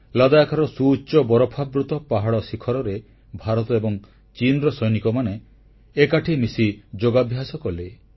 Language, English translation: Odia, On the snow capped mountain peaks of Ladakh, Indian and Chinese soldiers performed yoga in unison